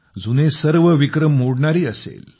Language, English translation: Marathi, should break all old records